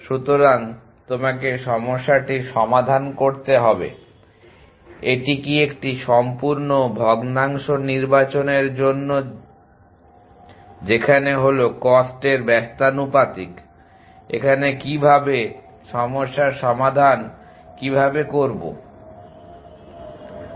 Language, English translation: Bengali, So, you have to work out the problem will it is for selection in a care full fraction which I inversely proportional to the cost how is it to solve the problem